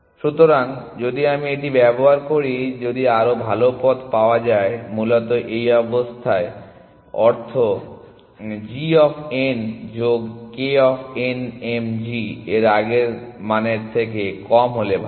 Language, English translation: Bengali, So, if let me use this if better path found which basically means this condition g of n plus k of n m is better is less than g of the old value of m then